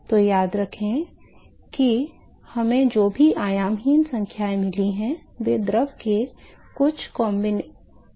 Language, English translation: Hindi, So, remember that all the dimensionless numbers we got, they are combination of some properties of the fluid right